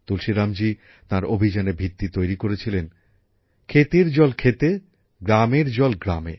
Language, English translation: Bengali, Tulsiram ji has made the basis of his campaign farm water in farms, village water in villages